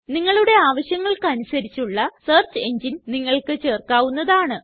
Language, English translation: Malayalam, You can add any of the search engines according to your requirement